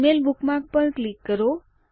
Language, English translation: Gujarati, Click on the Gmail bookmark